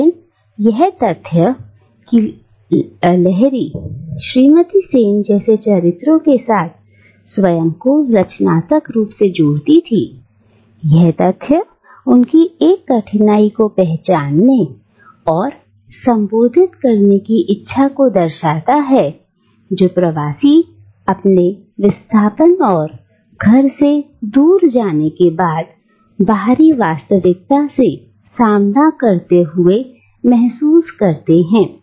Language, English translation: Hindi, But the very fact that Lahiri creatively engages with characters like Mrs Sen shows her desire to recognise and address the difficulty that a migrant faces in connecting with the outside reality following her displacement and uprooting